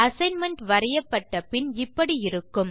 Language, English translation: Tamil, The assignment when drawn will look like this